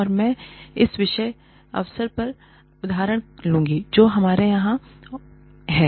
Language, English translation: Hindi, And, I will take the example of this particular opportunity, that we have here